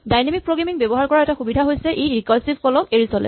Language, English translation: Assamese, One of the advantages of using dynamic programming is it avoids this recursive call